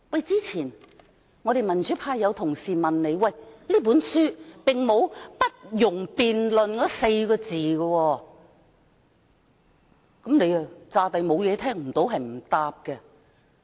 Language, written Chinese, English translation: Cantonese, 之前有民主派同事問他，這本書並沒有訂明"不容辯論"這4個字，他又假裝沒有這一回事，聽不到、不回答。, A colleague from the pro - democracy camp has earlier asked why his decision cannot be subject to any debate as such a word is not found in this book . He acted as though the question had not been raised he pretended not to have listened to the question and provided no answer